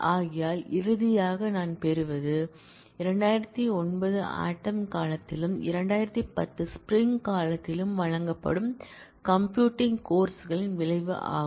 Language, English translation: Tamil, So, as a result what I get finally, is the effect of computing courses that are offered in fall 2009 and in spring 2010